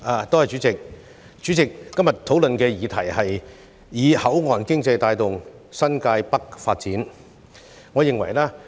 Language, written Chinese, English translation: Cantonese, 代理主席，今天討論的議題是"以口岸經濟帶動新界北發展"。, Deputy President the subject of our discussion today is Driving the development of New Territories North with port economy